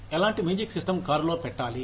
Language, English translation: Telugu, What kind of music system, to put in the car